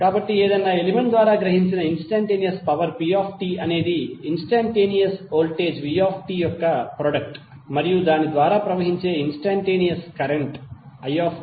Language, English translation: Telugu, So instantaneous power P absorbed by any element is the product of instantaneous voltage V and the instantaneous current I, which is flowing through it